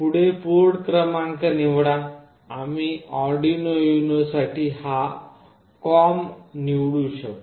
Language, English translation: Marathi, Next select the port number; we can select this COMM for this particular UNO